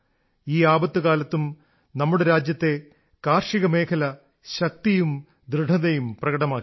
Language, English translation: Malayalam, Even in this time of crisis, the agricultural sector of our country has again shown its resilience